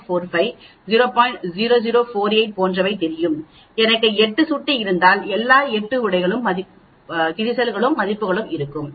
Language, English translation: Tamil, 0048 like that and if I have 8 mouse I will have all the 8 wear values